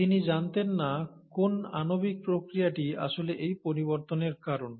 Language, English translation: Bengali, He did not know what is the molecular mechanism which actually causes this variation